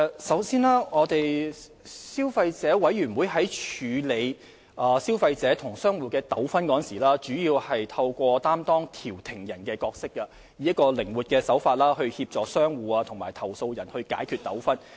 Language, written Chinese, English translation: Cantonese, 首先，消委會在處理消費者與商戶的糾紛時，主要透過擔當調停人的角色，以靈活手法協助商戶與投訴人解決糾紛。, First of all the Consumer Council handles disputes between consumers and shops mainly by acting as a mediator to assist the shops and the complainants in resolving their disputes in a flexible manner